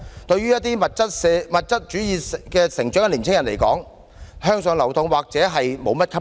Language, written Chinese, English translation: Cantonese, 對於在物質主義下成長的青年人，向上流動或許毫不吸引。, To the youths who grew up under materialism moving upward may not be that attractive